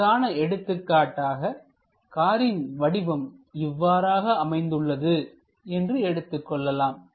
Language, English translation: Tamil, For example, let us consider our car is of this kind of shape